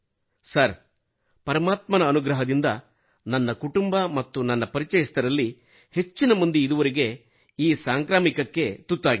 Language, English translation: Kannada, So sir, it is God's grace that my family and most of my acquaintances are still untouched by this infection